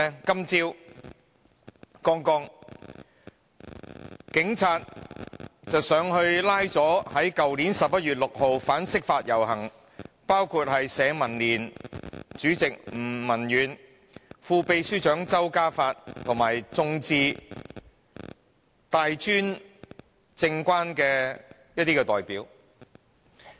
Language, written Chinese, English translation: Cantonese, 今天早上，警察拘捕了一批去年11月6日參加反釋法遊行的人士，包括社民連主席吳文遠、副秘書長周嘉發及香港眾志、大專政改關注組的一些代表。, This morning the Police arrested a group of people who participated in the demonstration against the interpretation of the Basic Law on 6 November last year including League of Social Democrats Chairman Avery NG and deputy secretary general Dickson CHAU as well as some members of Demosistō and the Political Reform Concern Group of Tertiary Education Institutes